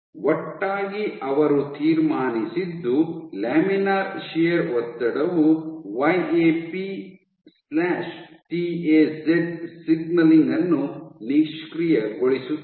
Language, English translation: Kannada, Together what they concluded was under laminar shear stress inactivates YAP/TAZ signaling